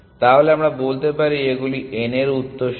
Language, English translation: Bengali, So, let us say these are the successors of n